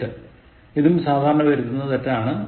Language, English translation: Malayalam, Eight, it is also a commonly committed error